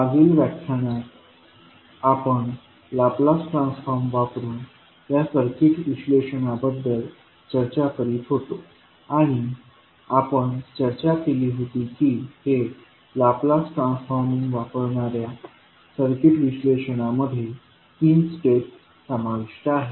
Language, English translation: Marathi, So, in the last class we were discussing about this circuit analysis using laplace transform and we discussed that these are circuit analysis using laplace transforming involves